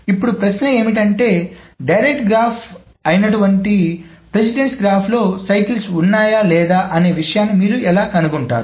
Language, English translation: Telugu, So the essentially the question now boils down to how do you find if a directed graph, the precedence graph, contains cycles or not